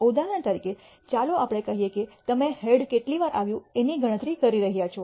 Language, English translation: Gujarati, For example, let us say you are counting the number of times head occurs